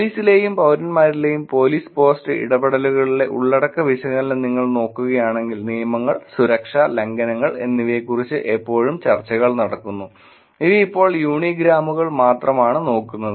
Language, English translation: Malayalam, If you look at the content analysis which is in police post interactions in police and citizens there is always discussions about rules, safety, violations, these are looking at only unigrams now